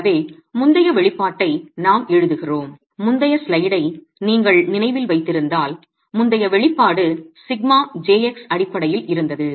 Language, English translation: Tamil, So we write the previous expression, the previous expression if you remember in the previous slide was in terms of sigma j x